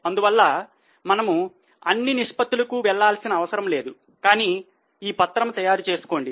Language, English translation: Telugu, So, we will not necessarily go for all the ratios but keep the sheet ready